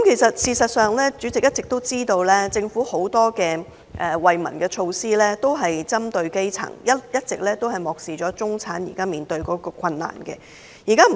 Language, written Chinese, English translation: Cantonese, 事實上，大家都知道，政府很多惠民措施，都是針對基層，一直都漠視中產所面對的困難。, In fact it is known to all that the Government has the grass roots in mind when implementing many relief measures and it has all along ignored the difficulties facing the middle class